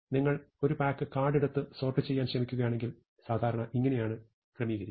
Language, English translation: Malayalam, If you take a pack of card and try to sort it, typically this is how you would sort